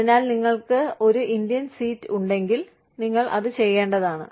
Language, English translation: Malayalam, So, if you have an Indian seat, you are supposed to